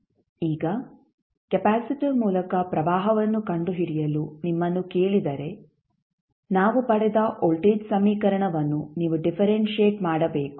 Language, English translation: Kannada, Now, if you are asked to find out the current through the capacitor you have to just simply differentiate the voltage equation which we have got